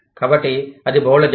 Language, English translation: Telugu, So, that is multinational